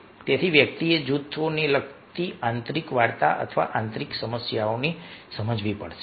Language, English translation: Gujarati, so one has to understand the inner story or inner problems related to the groups